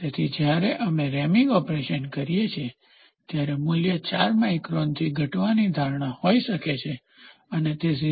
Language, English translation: Gujarati, So, when we take reaming operation, the value might be expected to fall from 4 microns it might go up to 0